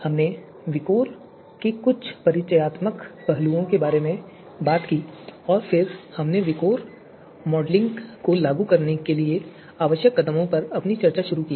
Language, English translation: Hindi, So we talked about some of the introductory aspect of VIKOR and then we started our discussion on the steps that are required to be executed to implement VIKOR method to do a VIKOR modelling